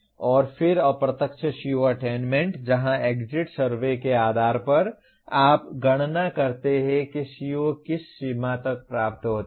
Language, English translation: Hindi, And then indirect CO attainment where based on the exit surveys you compute to what extent COs are attained